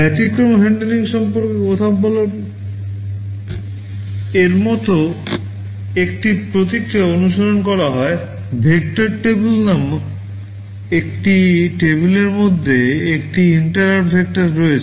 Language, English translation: Bengali, Talking about exception handling, a process like this is followed; there is an interrupt vector kind of a table called vector table